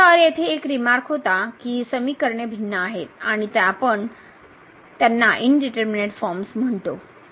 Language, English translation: Marathi, So, there was a remark here that these expressions which are different then these which we are calling indeterminate forms